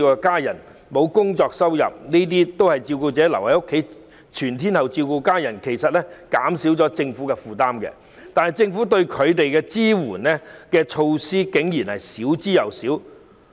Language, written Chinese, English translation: Cantonese, 照顧者全天候留在家中照顧家人，其實減輕了政府的負擔，但政府給予他們的支援，竟然少之又少。, The fact that carers stay at home to take care of their family members round the clock helps relieve the Governments burden but the support they receive in turn from the Government is unexpectedly minimal